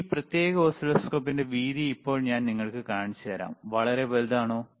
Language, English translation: Malayalam, And now let me show you the width of this particular oscilloscope,